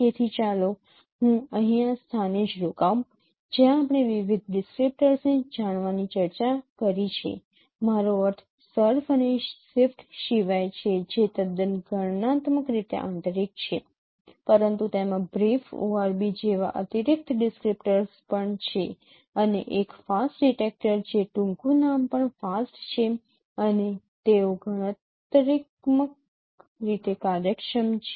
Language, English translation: Gujarati, So let me stop here at this point where we have discussed no various descriptors I mean other than surf and shift which are quite competitionally intensive but include there are also additional descriptors like brief word be and also a fast detector which acronym is also fast and they are competition efficient